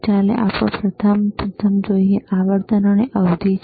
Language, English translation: Gujarati, Let us see the first one which is the frequency and period